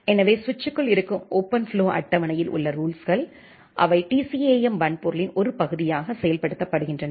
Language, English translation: Tamil, So, the rules in the OpenFlow table inside the switch, they are implemented as a part of the TCAM hardware